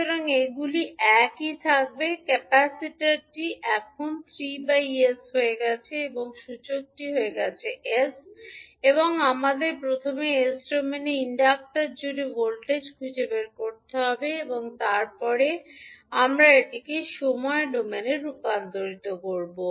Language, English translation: Bengali, So source will now become 1 by S there will be no change in the resistances so these will remain same, capacitor has now become 3 by S and inductor has become S and we need to find out first the voltage across the inductor in s domain and then we will convert it into time domain